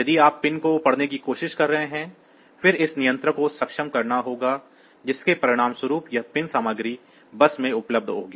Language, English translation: Hindi, So, if you are trying to read the point; then this control has to be enabled as a result this pin content will be available on to the bus